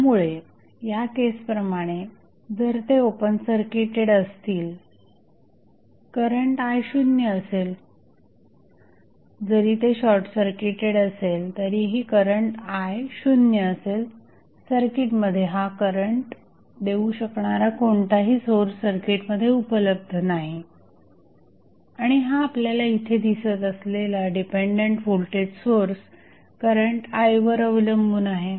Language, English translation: Marathi, So, if it is open circuited like in this case, the current I would be 0, even if it is short circuited current would still be 0 because the source which can supply this current is not available in the circuit and this dependent voltage source which we see here depends upon the value of current I